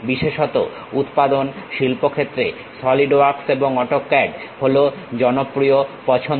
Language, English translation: Bengali, Especially, in manufacturing industries Solidworks and AutoCAD are the popular choices